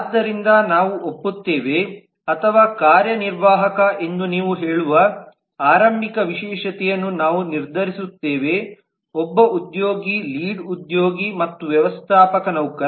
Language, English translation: Kannada, and therefore we agree or we decide on an initial specialization where you say that executive is an employee, lead is an employee and manager is an employee